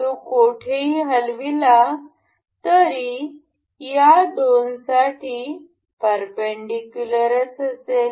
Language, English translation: Marathi, Anyway anywhere it moves, but it remains perpendicular to these two